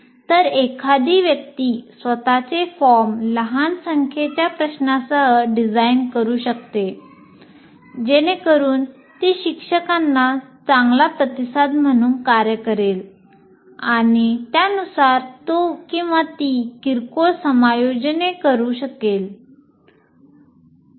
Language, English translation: Marathi, So one can design one's own form with small number of questions so that it acts as a good feedback to the teacher and he can make minor adjustments accordingly